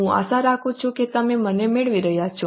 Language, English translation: Gujarati, I hope you are getting me